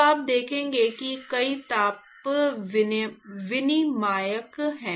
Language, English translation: Hindi, So, you will see that there are several heat exchangers